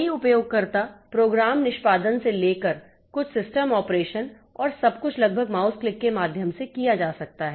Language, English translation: Hindi, Many user program execution to some system operation to everything, almost everything can be done by means of mouse clicks